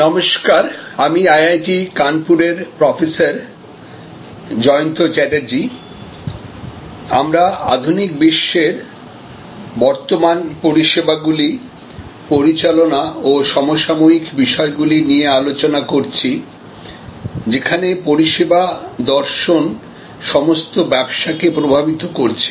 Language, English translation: Bengali, Hello, I am Jayanta Chatterjee from IIT Kanpur, we are discussing managing services and the contemporary issues in the modern world, where the service philosophy is influencing all businesses